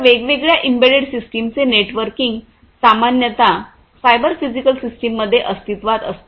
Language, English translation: Marathi, So, the networking of different embedded systems will typically exist in a cyber physical system